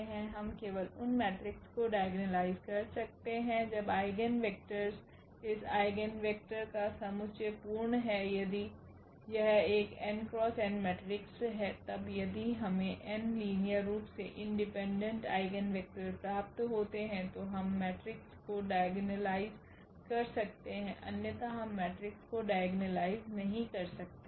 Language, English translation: Hindi, We can diagonalize only those matrices when the eigen vectors the set of this eigen vectors is full means if it is a n by n matrix then if we get n linearly independent Eigen vectors then we can diagonalize the matrix, otherwise we cannot diagonalize the matrix